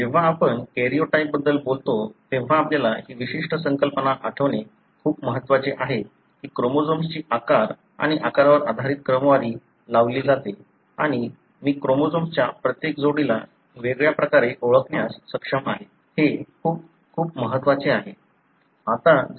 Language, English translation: Marathi, When you talk about karyotype, it is very important that you recollect this particular concept that the chromosomes are sorted based on their size and shape and I am able to identify each pair of the chromosome in a distinct way; that is very, very important